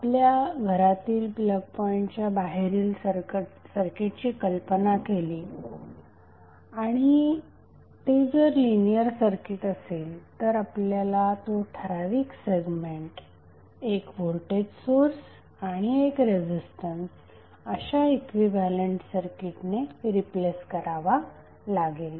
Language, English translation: Marathi, So you will assume that this circuit which is outside your plug point is the linear circuit and you will replace that particular segment with one equivalent circuit where you will have one voltage source and one resistance